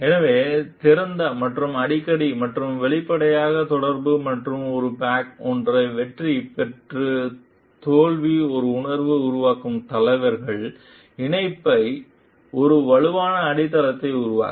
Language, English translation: Tamil, So, leaders who communicate open and communicate often and openly and create a feeling of succeeding and failing together as a pack build a strong foundation of connection